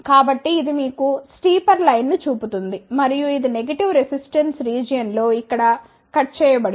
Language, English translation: Telugu, So, it will show you the steeper line and it will cut here in the negative resistance region